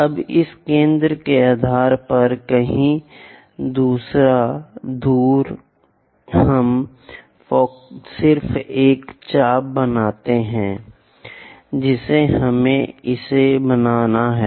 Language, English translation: Hindi, Now, based on this centre somewhere distance we just make an arc we have to bisect it